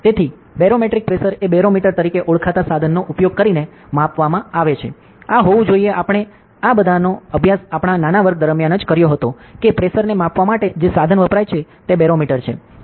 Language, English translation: Gujarati, So, barometric pressure is measured using a instrument known as barometer, this must be we all must has studied this during our small classes itself that ok, what is the instrument used to measure pressure, it is barometer